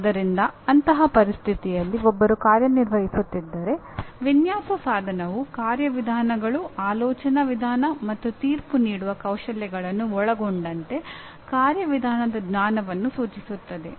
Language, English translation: Kannada, So in such situation if one is operating, the design instrumentality refers to procedural knowledge including the procedures, way of thinking and judgmental skills by which it is done